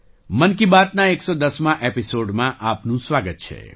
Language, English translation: Gujarati, Welcome to the 110th episode of 'Mann Ki Baat'